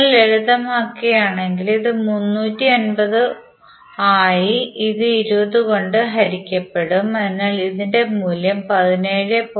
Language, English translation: Malayalam, If you simplify, this will become 350 divided by 20 is nothing but 17